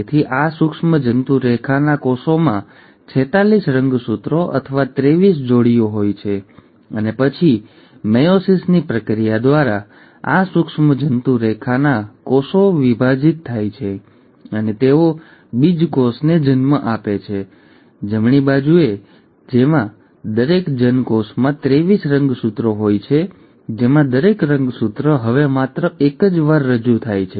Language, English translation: Gujarati, So these germ line cells will contain forty six chromosomes or twenty three pairs and then through the process of meiosis, these germ line cells divide and they give rise to gametes, right, with each gamete having twenty three chromosomes, wherein each chromosome is now represented only once